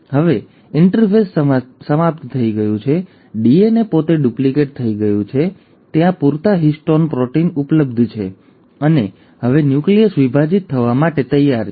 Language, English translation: Gujarati, Now the interphase is over, the DNA has duplicated itself, there are sufficient histone proteins available and now the nucleus is ready to divide